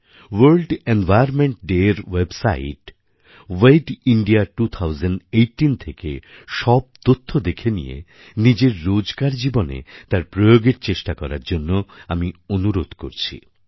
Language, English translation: Bengali, Let us all visit the World Environment Day website 'wedindia 2018' and try to imbibe and inculcate the many interesting suggestions given there into our everyday life